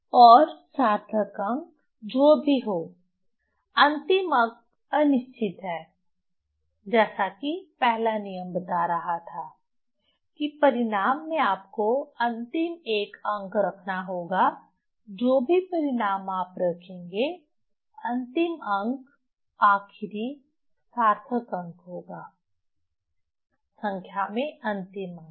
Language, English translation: Hindi, 5 and whatever the significant figure so last one is doubtful as first rule was telling that in result you have to keep the last one whatever result you will keep that last one will be the last significant figure digit okay last digit in the number so that will be the significant that will be the doubtful digit